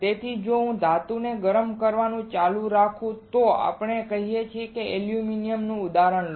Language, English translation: Gujarati, So, if I keep on heating a metal let us say take an example of aluminum right